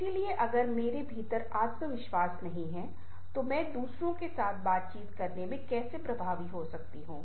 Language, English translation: Hindi, so if i am not having confidence within, how can i be effective while talking, interacting with other